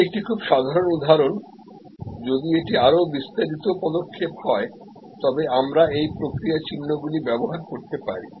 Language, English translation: Bengali, This is a very simple example, if it is a much more detail steps we can use this process symbols